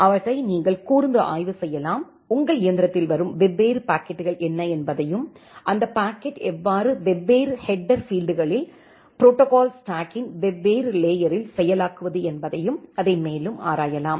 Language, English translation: Tamil, And you can analyze them you can see what are the different packets coming to your machine and how to process those packet look into different header fields at a different layer of the protocol stack and explore it further ok